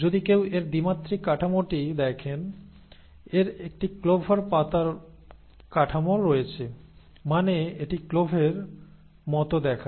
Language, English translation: Bengali, If one were to look at its two dimensional structure, it has a clover leaf structure, I mean; it looks like the cloves